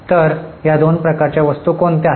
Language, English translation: Marathi, So, what are these two types of items